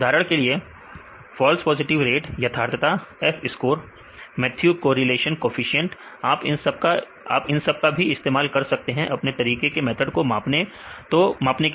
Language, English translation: Hindi, For example the false positive rate or the precision, F score; Mathews correlation coefficient this is also you can use to measure the performance of your method